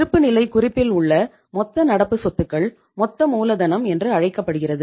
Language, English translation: Tamil, Total of the current assets in the balance sheet is called as the gross working capital